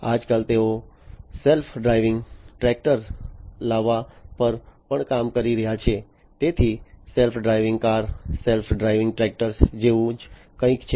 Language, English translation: Gujarati, So, nowadays they are also working on coming up with self driving tractors, so something very similar to the self driving cars self driving tractors